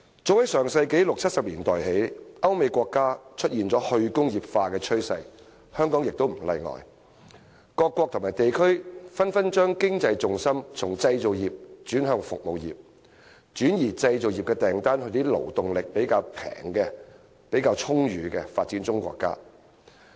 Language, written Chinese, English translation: Cantonese, 早在上世紀六七十年代，歐美國家出現了"去工業化"趨勢，香港也不例外，各國和地區紛紛把經濟重心從製造業轉向服務業，轉移製造業訂單到一些勞動力較便宜、較足裕的發展中國家。, As early as the 1960s and 1970s of the last century countries in Europe and America witnessed the emergence of a deindustrialization trend and Hong Kong was no exception . Various countries and regions shifted their economic centre of gravity from the manufacturing industry to the service industry and outsourced manufacturing orders to developing countries with cheaper and abundant labour